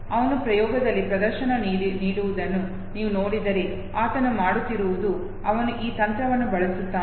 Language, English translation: Kannada, If you see him performing in the experiment all he does is, that he uses this very technique